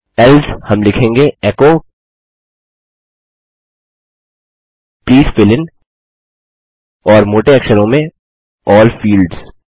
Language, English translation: Hindi, Else, we will say echo Please fill in and in bold, all fields